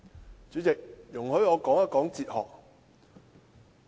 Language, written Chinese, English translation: Cantonese, 代理主席，容許我談談哲學。, Deputy President allow me to talk about philosophy